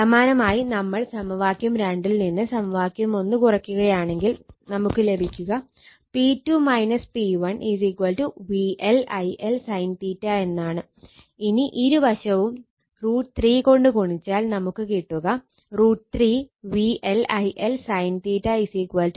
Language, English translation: Malayalam, Similarly, if you subtract equation 1 from equation 2 right; that is, equation 2 minus equation 1, you will get P 2 minus P 1 is equal to V L I L sin theta right or if, you multiply both side by root 3 then root 3 V L I L sin theta is equal to root 3 into P 2 minus P, minus P 1 right